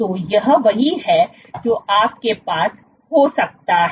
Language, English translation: Hindi, So, this is what you can have